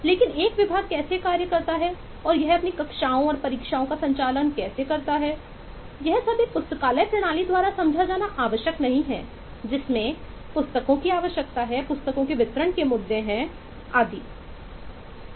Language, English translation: Hindi, but how a department functions and it conducts its classes and eh examinations and all that is eh not required to be understood by a library system which has requirement of books, issue of books and so on and vice versa